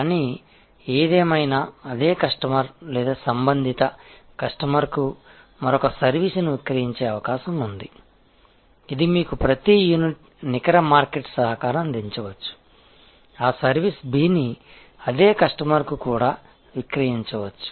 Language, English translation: Telugu, And but; however, it is there is a possibility of selling to that same customer or related customers another service, which may give you a higher per unit net market contribution, that service B can also be sold to the same customer